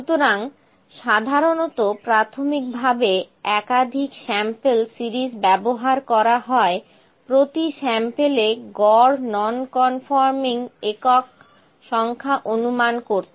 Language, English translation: Bengali, So, typically an initial series of samples is used to estimate the average number of non conforming units per sample